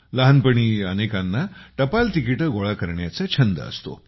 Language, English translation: Marathi, Who does not have the hobby of collecting postage stamps in childhood